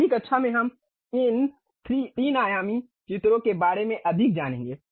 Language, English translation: Hindi, In the next class we will learn more about these 3 dimensional drawings